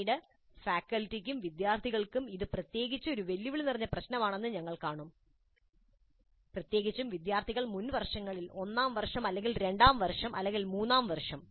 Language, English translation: Malayalam, Later we will see that this is particularly a challenging issue both for faculty as well as our students, particularly when these students are in the earlier years, first year or second year or third year